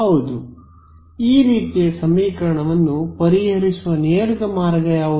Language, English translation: Kannada, Yes what is the straightforward way of solving this kind of an equation